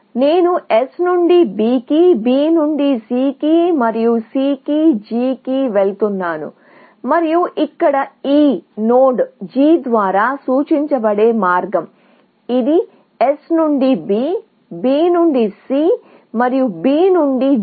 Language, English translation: Telugu, I am going from S to B, B to C and C to G, and that is the path represented by this node G here; S to B, B to C and B to G